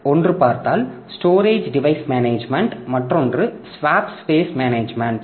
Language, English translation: Tamil, One is storage device management, another is swap space management